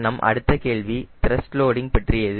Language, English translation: Tamil, our next question was on the thrust loading